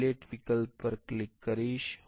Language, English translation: Gujarati, I will click on the fillet option